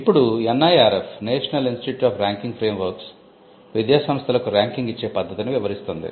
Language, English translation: Telugu, Now, the NIRF, the National Institute Ranking Framework has come up with the framework which outlines a methodology for ranking institutions